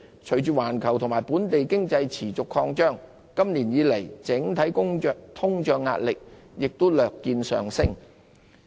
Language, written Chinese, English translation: Cantonese, 隨着環球和本地經濟持續擴張，今年以來整體通脹壓力亦略見上升。, As the global and domestic economies continue to expand overall inflationary pressure has increased slightly so far this year